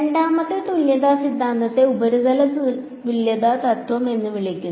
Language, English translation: Malayalam, The second equivalence theorem is called the surface equivalence principle ok